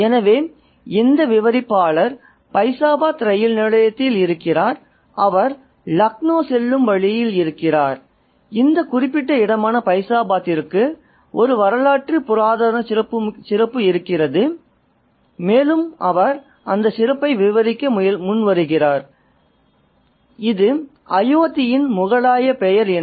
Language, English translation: Tamil, So, this narrator is in Faizabad railway station and he's on the way to Lucknow and he kind of sets forth on giving a historical, mythical, religious context for this particular place, Faizabad, and he says that it is the Mughal name for Ayyodhya